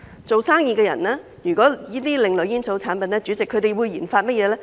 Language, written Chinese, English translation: Cantonese, 做生意的人如研發這些另類煙草產品，他們會研發甚麼呢？, What would businessmen develop when they conduct RD on these alternative tobacco products?